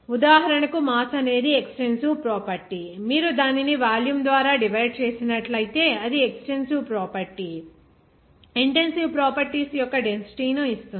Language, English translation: Telugu, For example, like mass is an extensive property, that if you divide it by volume, that is an extensive property, gives density that is intensive properties